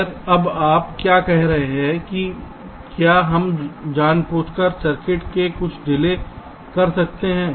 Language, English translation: Hindi, that can we deliberately insert some delay in the circuit